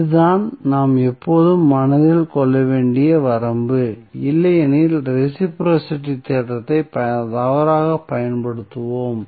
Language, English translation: Tamil, So, this is the limitation which we have to always keep in mind otherwise, we will use reciprocity theorem wrongly